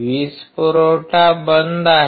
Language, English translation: Marathi, The power supply is off